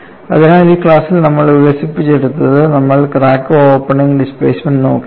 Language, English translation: Malayalam, So, in this class, what we have developed was, we had looked at crack opening displacement